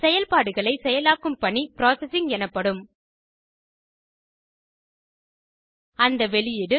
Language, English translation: Tamil, The task of performing operations is called processing